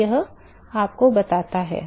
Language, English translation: Hindi, So, that tells you